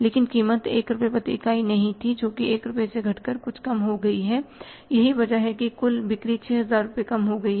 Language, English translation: Hindi, But the price was not 1 rupee per unit, it has come down from 1 rupee to some lesser amount